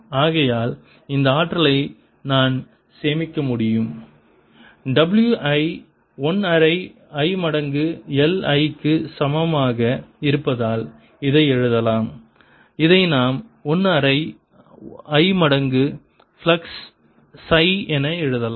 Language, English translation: Tamil, let me write this as w is equal to one half i times l i, which we can write as one half i times the flux phi